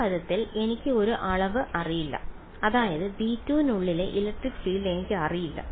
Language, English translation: Malayalam, In this term over here I do not know one quantity which is I do not know the electric field inside v 2